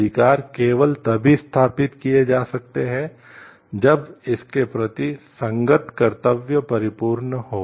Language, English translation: Hindi, The rights can only been established only when the corresponding duty towards it is perfect